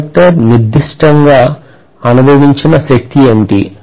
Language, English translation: Telugu, What is the force experienced by that particular conductor